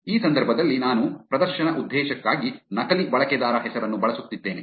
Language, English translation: Kannada, In this case, I am using a dummy user name for the demo purpose